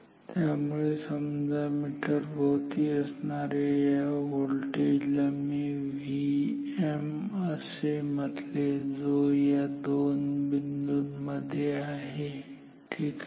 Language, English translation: Marathi, So, if I call this voltage across the meter as V m, so, which is between these two points ok